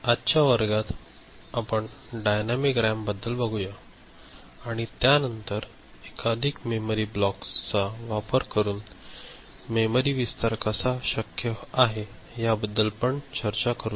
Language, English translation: Marathi, In today’s class, we shall look at dynamic RAM, and after that we shall discuss how memory expansion is possible by using multiple memory blocks, ok